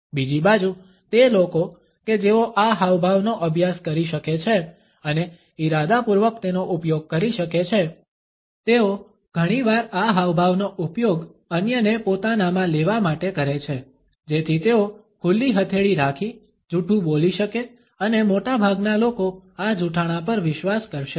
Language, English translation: Gujarati, On the other hand those people who are able to practice this gesture and are able to use it in an intentional manner often use this gesture to receive others so that they can pass on a lie within open palm and this lie would be trusted by most of the people